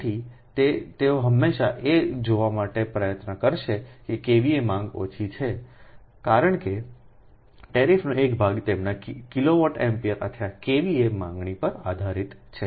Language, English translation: Gujarati, so thats why they will always try to see that kva demand is less because they one part of that tariff is based on their kilo volt, ampere or kva demand